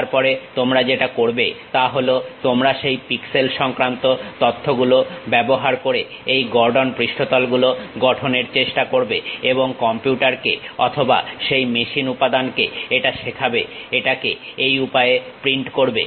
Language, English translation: Bengali, Then what you do is, you use those pixel information's try to construct these Gordon surfaces and teach it to the computer or to that machine element print it in this way